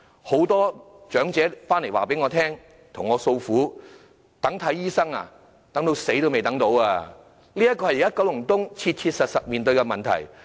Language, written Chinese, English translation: Cantonese, 很多長者向我訴苦，等候求診，待至死亡也等不到，這是九龍東現時切實面對的問題。, Many elderly persons have poured out their woes to me that they will not be able to attend any medical consultation even when they die . It is the practical problem faced by Kowloon East right now